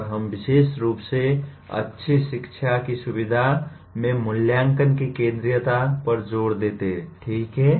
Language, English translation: Hindi, And we also particularly emphasize the centrality of assessment in facilitating good learning, okay